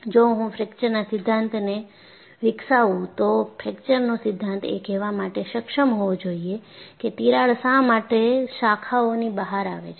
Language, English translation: Gujarati, If I develop a fracture theory, the fracture theory should be able to say why a crack branches out